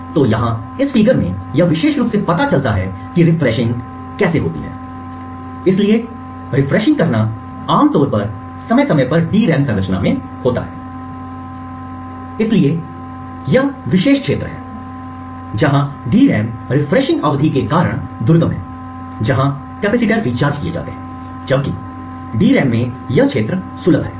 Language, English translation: Hindi, So this particular figure over here shows how the refreshing occurs, so refreshing typically occurs periodically in a DRAM structure, so these particular areas is where the DRAM is inaccessible due to the refreshing period where the capacitors are recharged, while the accessible regions in the DRAM is over here